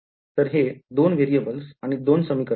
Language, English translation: Marathi, So, these are 2 equations, 2 variables